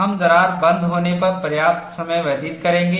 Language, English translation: Hindi, We would spend sufficient time on what is crack closure